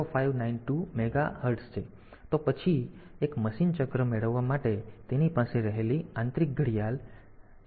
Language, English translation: Gujarati, 0592 Mega Hertz; then one machine cycle is; to get a, so the internal clock that it has is 11